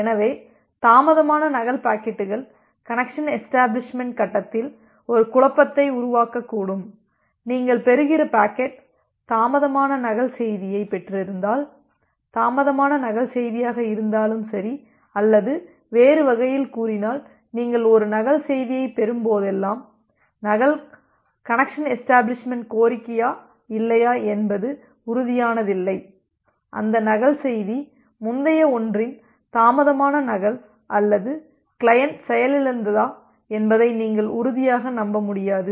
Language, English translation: Tamil, So, the delayed duplicate packets may create a confusion like during the connection establishment phase that whether the packet that you are being received, say if you have received the delayed duplicate message, whether that delayed duplicate message is or in other words if I say it more clearly like whenever you receive a duplicate message, you do not be sure or duplicate connection establishment request you cannot be sure whether that duplicate message is a delayed duplicate of the earlier one or the client has crashed and it has re initiated the connection with the server and that connection request message is coming from that one